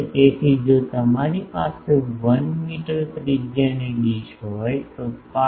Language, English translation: Gujarati, So, if you have a dish of 1 meter radius then pi